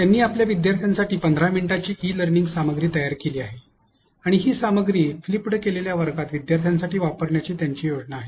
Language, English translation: Marathi, He has created a 15 minutes e learning content for his students and he plans to use this content for his students during flipped classroom